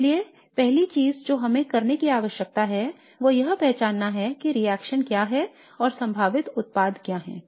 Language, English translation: Hindi, So the first thing that we need to do is to identify what the reaction is and what the possible products are